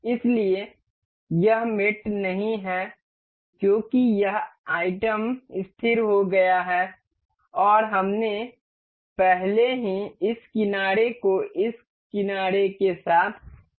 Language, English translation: Hindi, So, it is not mated because this item is fixed and we have already aligned this edge with the edge of this